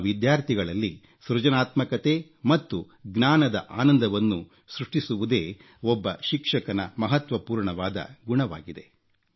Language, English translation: Kannada, " The most important quality of a teacher, is to awaken in his students, a sense of creativity and the joy of learning